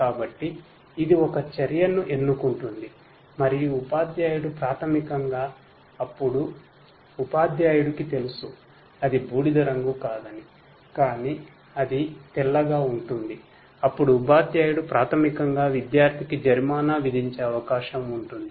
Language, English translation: Telugu, So, it chooses an action and the teacher basically will then teacher knows that no, it is not grey, but it is white then the teacher basically will penalize the student with a certain penalty probability, right